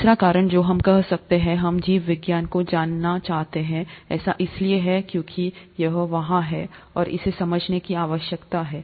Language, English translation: Hindi, The third reason why we could, we would want to know biology, is because it is there, and needs to be understood